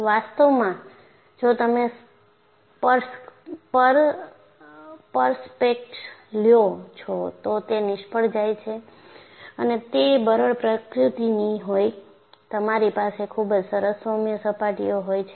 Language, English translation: Gujarati, In fact, if you take prospects, if it fails, it would be brittle in nature, you will have very nice polished surfaces